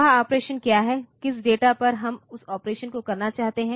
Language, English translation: Hindi, So, second so, what is the operation which data we want to do that operation